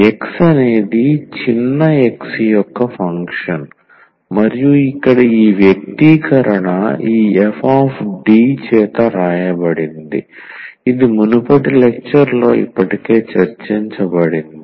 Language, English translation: Telugu, X is a function of small x and then this expression here is written by this f D which has been already discussed in previous lecture